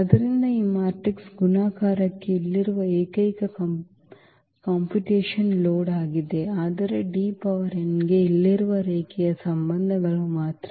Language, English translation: Kannada, So, that is the only computation load here for this matrix multiplication, but for D power n only that linear relations here